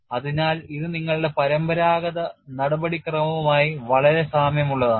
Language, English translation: Malayalam, So, it is very similar to your conventional procedure